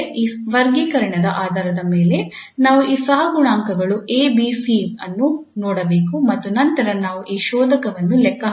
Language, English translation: Kannada, So based on this classification we have to just look at these coefficients A, B, C and then we can compute this discriminant